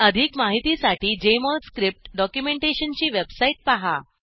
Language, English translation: Marathi, Explore the website for Jmol Script documentation for more information